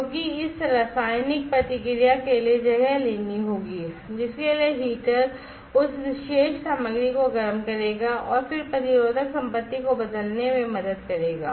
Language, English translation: Hindi, Because this chemical reaction will have to take place for which the heater will heat up that particular material and then that will help in changing the resistive property